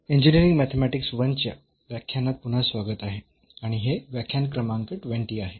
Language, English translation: Marathi, Welcome back to the lectures on Engineering Mathematics I and this is lecture number 20